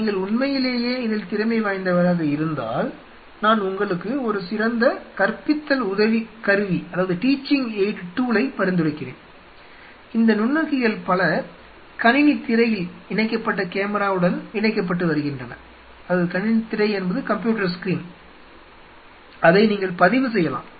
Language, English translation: Tamil, And if you are really good in that, then I would recommend you something which is a very good teaching aid, is that many of these dissecting microscopes comes with an attachment to put a camera which could be put on a screen and you can record it